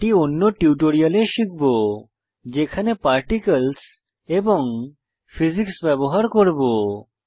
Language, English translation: Bengali, These shall be covered in more advanced tutorials when we use Particles and Physics in our animation